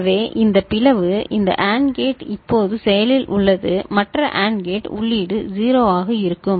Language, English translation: Tamil, So, this split this AND gate is now active the other AND gate input will be 0